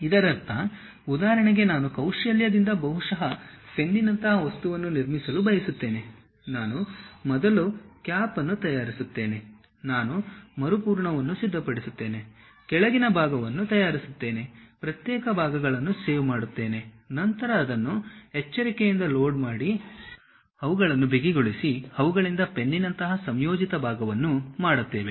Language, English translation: Kannada, That means, for example, I want to construct a by skill, maybe I want to construct something like a pen, what I will do is I will prepare a cap, I will prepare a refill, I will prepare something like bottom portion, save individual parts, then carefully load it, tighten them, so that a combined part like a pen can be made